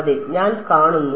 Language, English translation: Malayalam, I see yeah